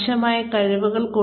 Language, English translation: Malayalam, The skills, that are required